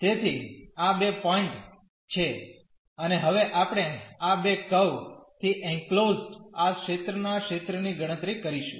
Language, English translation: Gujarati, So, these are the two points and now we will compute the area of this region enclosed by these two curves